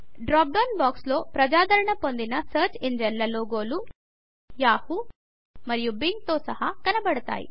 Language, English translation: Telugu, We notice that a drop down box appears with the logos of most popular search engines, including Yahoo and Bing